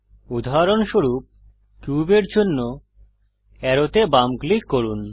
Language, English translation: Bengali, For example, left click arrow for cube